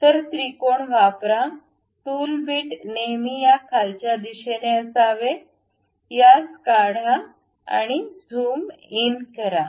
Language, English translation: Marathi, So, use triangle, tool bit always be in this downward direction, constructed remove this one, zoom in